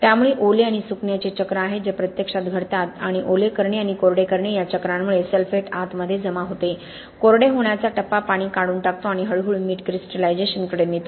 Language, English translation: Marathi, So there are cycles of wetting and drying which actually in reality happen and because of the cycles of wetting and drying the wetting phase deposits the sulphate inside, the drying phase removes the water and slowly leads to salt crystallization